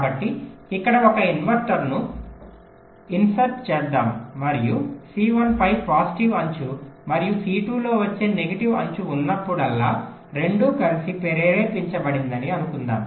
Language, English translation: Telugu, so let us insert an inverter here and lets assume that whenever there is a positive edge coming on c one and negative edge coming on c two, so both will triggered together same way